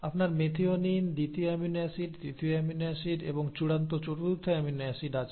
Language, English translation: Bengali, So you have the methionine, the second amino acid, the third amino acid, right, and the final the fourth amino acid